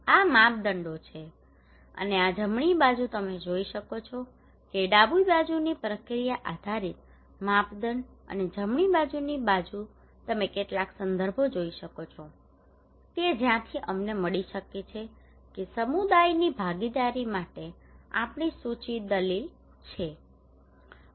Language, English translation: Gujarati, These are the criterias right and these the right hand side you can see that, left hand side the process based criteria and right hand side you can see some of the references that from where we can found that this is our proposed argued for community participation